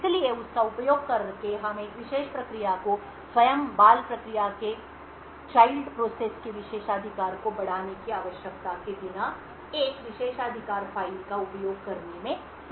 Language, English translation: Hindi, So using this we would be able to let a particular process access a privilege file without requiring to escalate a privilege of the child process itself